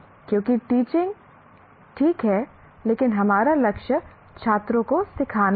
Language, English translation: Hindi, Because teaching is all right but our goal is students have to learn